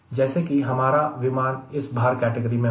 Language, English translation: Hindi, ok, my aircraft will be this weight class right